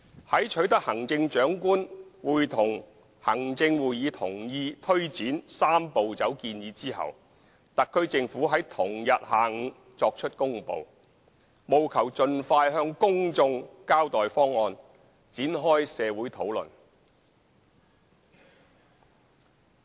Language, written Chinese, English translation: Cantonese, 在取得行政長官會同行政會議同意推展"三步走"建議後，特區政府在同日下午作出公布，務求盡快向公眾交代方案，展開社會討論。, Upon obtaining the approval of the Chief Executive in Council for taking forward the proposed Three - step Process the SAR Government made an announcement in the afternoon the same day with a view to explaining the proposal to the public as soon as possible and commencing discussions in the community